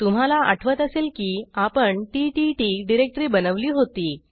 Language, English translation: Marathi, Before we begin, recall that we had created a ttt directory earlier